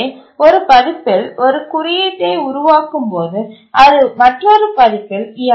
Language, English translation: Tamil, So you develop code on one version, it don't work on another version